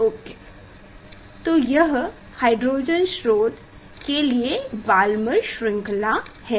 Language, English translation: Hindi, this this is the of Balmer series for hydrogen source ah